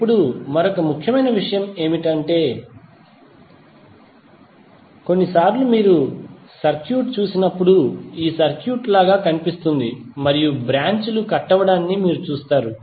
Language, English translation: Telugu, Now, another important thing is that sometimes when you see the circuit it looks like this circuit right and you will see that lot of branches are cutting across